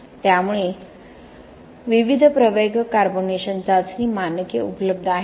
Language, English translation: Marathi, So there are various accelerated carbonation test standards available